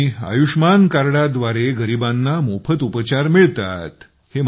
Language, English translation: Marathi, And there is free treatment for the poor with Ayushman card